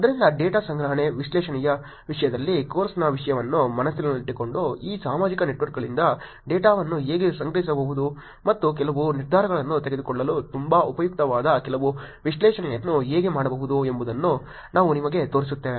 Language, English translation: Kannada, So, keeping the topic of the course in mind in terms of the data collection analysis, let me show you how one can actually collect the data from these social networks and actually do some analysis which could be very useful for making some decisions